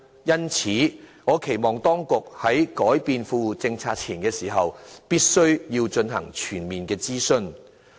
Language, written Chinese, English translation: Cantonese, 因此，我期望當局在更改富戶政策前，必須進行全面諮詢。, Therefore I hope the Government will conduct a comprehensive consultation before making changes to the Well - off Tenants Policies